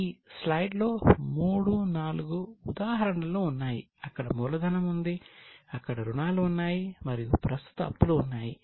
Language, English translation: Telugu, Then there are three, four examples as you can see from the slide, there is capital, there are borrowings and there are current liabilities